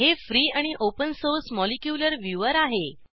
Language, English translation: Marathi, It is, * A free and open source Molecular Viewer